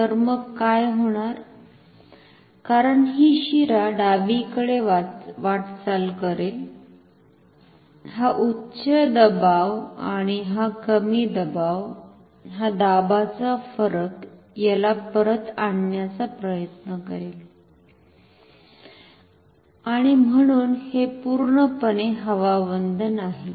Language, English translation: Marathi, So, then what will happen as this vein is moving towards the left this high pressure and this low pressure the pressure difference will try to bring it back